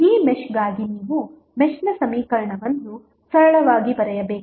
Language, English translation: Kannada, You have to just simply write the mesh equation for this mesh